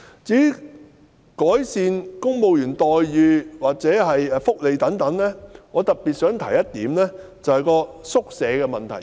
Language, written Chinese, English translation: Cantonese, 至於改善公務員待遇或福利等方面，我特別想指出一點，即宿舍的問題。, As regards the improvement in such areas as remuneration and benefits for civil servants I would like to particularly point out the issue of departmental quarters